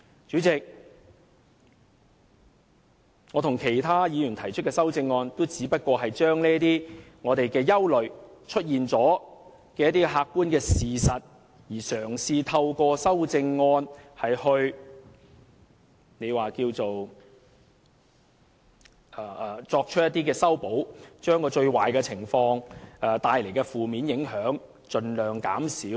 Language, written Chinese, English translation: Cantonese, 主席，我與其他議員提出的修正案，也只是因應我們的憂慮及已出現的客觀事實，嘗試透過修正案作出修補，以把最壞的情況及會帶來的負面影響盡量減少。, Chairman the objective facts make us worried . The amendments proposed by other Members and me represent our very attempt to remedy the worst scenario and minimize the negative impact to be brought about by the co - location arrangement